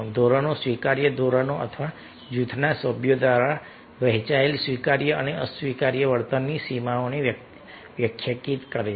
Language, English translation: Gujarati, then group norms: norms define the acceptable standards or boundaries of acceptable and unacceptable behavior shared by group members